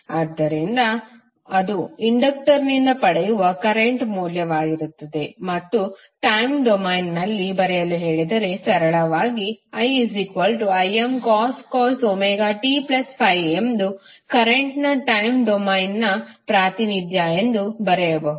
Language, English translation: Kannada, So, that would be the current value which we get from the inductor and if you are asked to write in the time domain, you can simply write as since we know that I is equal to Im cos Omega t plus Phi is the time domain representation of the current